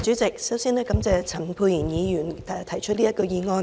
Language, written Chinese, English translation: Cantonese, 主席，首先，感謝陳沛然議員提出這項議案。, President first of all I thank Dr Pierre CHAN for proposing this motion